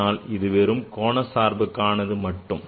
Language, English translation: Tamil, But this is only angular function